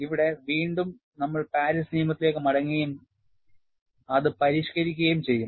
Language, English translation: Malayalam, Here again, we will go back the Paris law and modify it